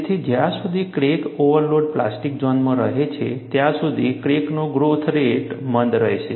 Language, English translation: Gujarati, So, as long as the crack remains within the overload plastic zone, the growth rate of the crack would be retarded